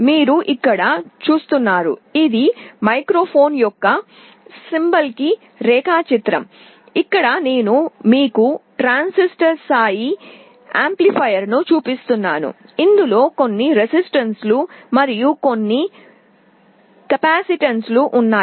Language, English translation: Telugu, You see here this is the symbolic diagram of a microphone here I am showing you a transistor level amplifier which consists of some resistances and some capacitances